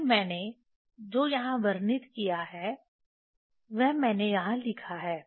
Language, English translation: Hindi, Then that is what I have I have described here written here